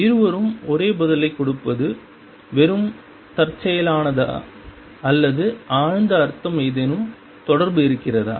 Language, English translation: Tamil, Is it mere coincidence that both give the same answer or is there a deeper meaning is there any connection